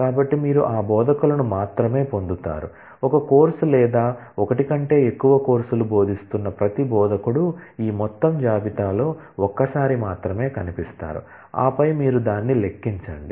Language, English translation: Telugu, So, that you get only those instructors, every instructor who is teaching one course or more than one course will feature only once in this total list, and then you simply count it